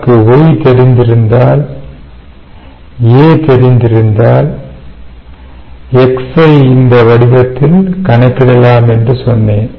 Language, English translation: Tamil, and i said: if we know y and if you know a, we can calculate x